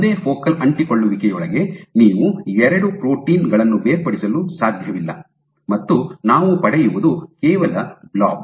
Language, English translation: Kannada, You cannot resolve 2 proteins within a single focal adhesion, you will just get is a blob